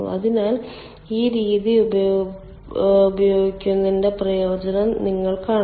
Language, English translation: Malayalam, so you see the advantage of using this method